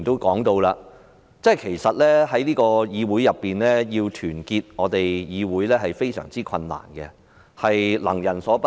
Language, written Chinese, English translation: Cantonese, 剛才石禮謙議員提到要團結議會是非常困難的事，亦是能人所不能。, Just now Mr Abraham SHEK mentioned that unity in the Legislative Council is something rather difficult and incredible